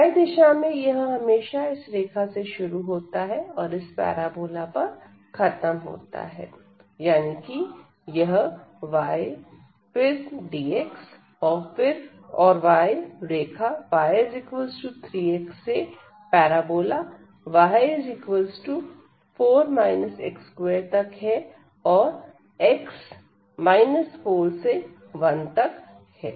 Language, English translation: Hindi, So, the y goes from 3 x to this parabola, y is equal to 4 minus x square and the limits of x will be from minus 4 to this x is equal to 1